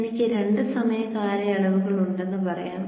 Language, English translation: Malayalam, So let us say that I have two time periods